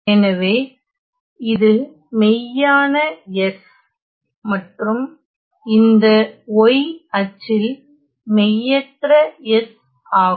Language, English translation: Tamil, So, I have real of s and this one y axis will be the imaginary of s